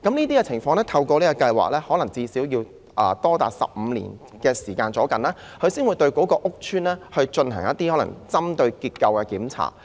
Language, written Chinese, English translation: Cantonese, 在全面結構勘察計劃下，可能要長達15年房屋署才會對屋邨進行結構檢查。, Under CSIP it may take as long as 15 years for HD to conduct a structural inspection in a housing estate